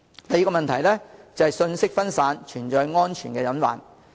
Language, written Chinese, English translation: Cantonese, 第二，信息分散，存在安全隱患。, Second the fragmentary information gives rise to safety hazards